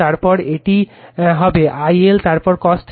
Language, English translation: Bengali, Then it will be I L, then cos theta